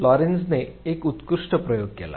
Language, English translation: Marathi, This made Lorenz did a fantastic experiment